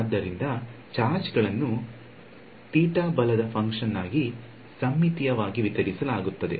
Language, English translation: Kannada, So, the charges will be symmetrically distributed as the function of theta right